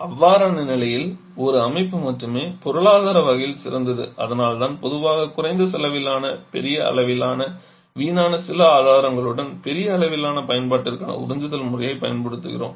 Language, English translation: Tamil, In that case only there was a system is economic and that is why we generally use absorption system for large scale application with some source of low cost large quantity of wastage